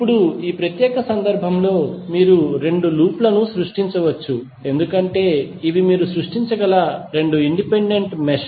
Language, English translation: Telugu, Now, in this particular case you can create two loops because these are the two independent mesh which you can create